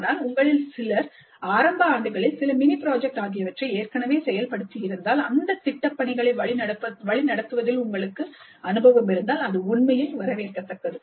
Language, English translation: Tamil, But if some of you have already implemented some mini projects in the earlier years and if you do have an experience in mentoring project work in earlier years, that would be actually more welcome